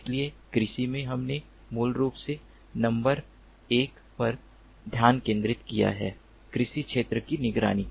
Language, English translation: Hindi, so in agriculture, we have basically focused on number one surveillance of agricultural field